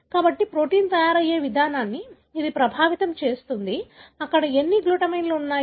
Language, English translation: Telugu, So, it is affecting the way the protein is being made, as to how many glutamines that is there